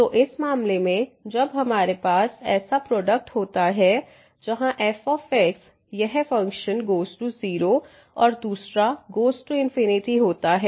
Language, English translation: Hindi, So, in this case when we have such a product where one this function goes to 0 and the other one goes to infinity